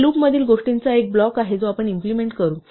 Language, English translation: Marathi, This is a block of things inside the loop that we will execute